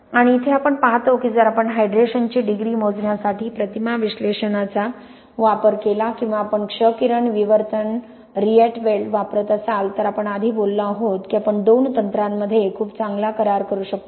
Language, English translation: Marathi, And here we see that if we use image analysis to measure the degree of hydration or if you use x ray diffraction Rietveld, we talked about earlier we can get very good agreement between the two techniques